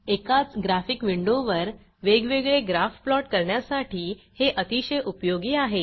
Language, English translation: Marathi, It is useful while plotting different graph on the same graphic window